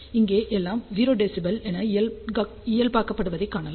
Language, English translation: Tamil, So, we can see that here everything is normalized to 0 dB ok